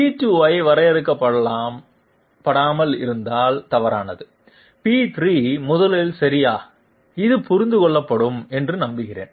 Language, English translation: Tamil, Incorrect without defining P2, P3 first okay I hope this is understood